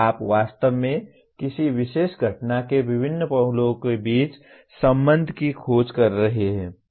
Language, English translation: Hindi, You are actually discovering the relationship between various facets of a particular phenomena